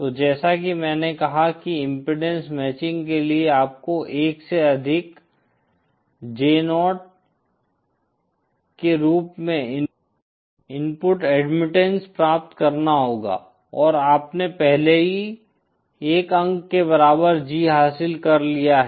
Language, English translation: Hindi, So as I said for impedance matching you have to obtain the input admittance as 1 plus J 0 and you have already achieved the G equal to 1 point